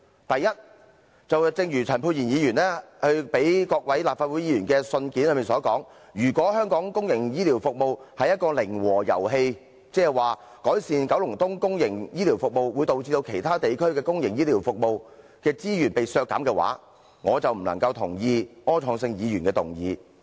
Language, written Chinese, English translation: Cantonese, 第一，正如陳沛然議員發給各位議員的信件所說，如果香港公營醫療服務是一個零和遊戲，即改善九龍東公營醫療服務，會導致其他地區的公營醫療服務的資源被削減，那我就不能贊同柯創盛議員的議案。, First as in the letter issued by Dr Pierre CHAN to all Members if public healthcare services in Hong Kong are a zero - sum game which means enhancement of the public healthcare services in Kowloon East will result in resource cuts in public healthcare services in other districts I cannot agree with Mr Wilson ORs motion